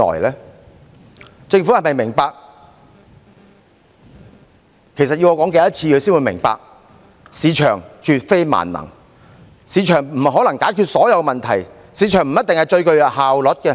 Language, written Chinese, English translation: Cantonese, 其實，政府要我說多少次才會明白，市場絕非萬能，市場不可能解決所有問題，市場不一定是最具效率的。, In fact how many times do I need to tell the Government so that it can understand that the market is not a panacea the market cannot resolve all problems and the market is not necessarily the most efficient tool